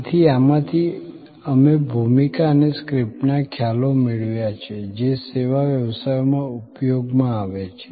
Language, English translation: Gujarati, So, from this we have derived the so called role and script concepts that are deployed in service businesses